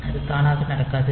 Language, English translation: Tamil, So, it is not automatic